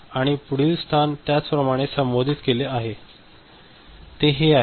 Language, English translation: Marathi, And similarly the next location is addressed so, this one